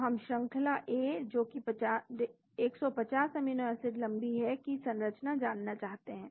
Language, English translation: Hindi, So we want to know the structure of sequence A, 150 amino acids long